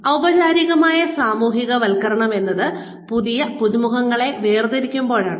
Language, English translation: Malayalam, Formal socialization is, when new newcomers are segregated